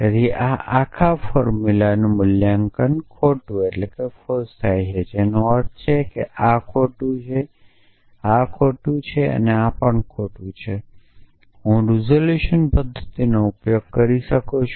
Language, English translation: Gujarati, So, this whole formula is evaluated to false which means this is false which means this is false and this is false I could have use the resolution method to say terminate for the example